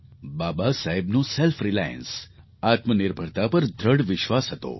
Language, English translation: Gujarati, Baba Saheb had strong faith in selfreliance